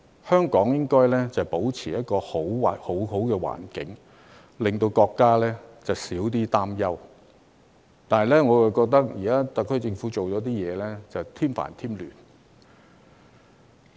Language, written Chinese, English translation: Cantonese, 香港理應保持一個良好的環境，令國家可少一點擔憂，但我感到特區政府的某些所為卻是在添煩添亂。, Hong Kong should have maintained a good environment to alleviate the countrys worries . However I feel that some of the actions of the HKSAR Government are making the situation more troublesome and chaotic